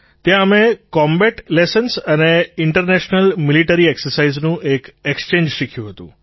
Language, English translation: Gujarati, Here we learnt an exchange on combat lessons & International Military exercises